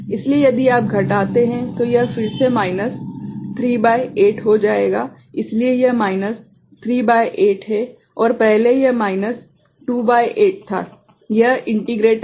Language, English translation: Hindi, So, if you subtract it will become again minus 3 by 8; so, this is minus 3 by 8 and earlier it was 2 by 8 this integrator